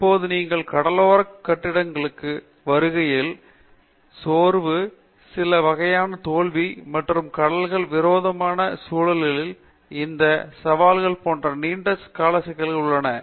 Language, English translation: Tamil, Now, when you come to the offshore structures, etcetera, there are long terms problems such as fatigue, the failure of certain kinds of joints and the challenges of handling these in the hostile environment in the oceans